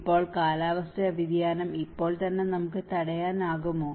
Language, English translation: Malayalam, Now, can we stop climate change just as of now